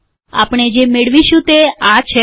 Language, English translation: Gujarati, What we get is this